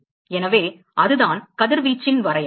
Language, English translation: Tamil, So that is the definition of radiation